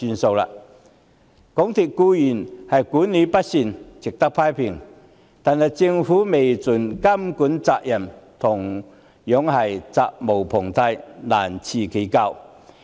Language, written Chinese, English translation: Cantonese, 港鐵公司管理不善，固然值得批評，但政府未盡監管責任，同樣責無旁貸，難辭其咎。, The poor management of MTRCL certainly warrants criticism but the Government can hardly absolve itself of the blame for failing to fulfil its monitoring role